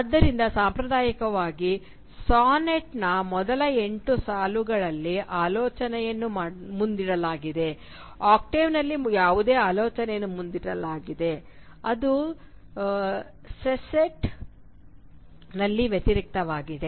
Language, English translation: Kannada, So whatever, actually whatever thought is put forward in the first eight lines of a traditional sonnet, whatever thought is put forward in the octave, is reversed in the sestet